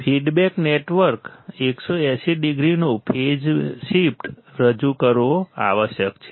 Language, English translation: Gujarati, The feedback network must introduce a phase shift of 180 degree